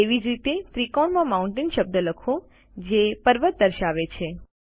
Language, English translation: Gujarati, Similarly, lets type the word Mountain in the triangle that depicts the mountain